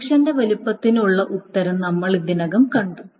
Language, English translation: Malayalam, So suppose size of projection this we have already seen the answer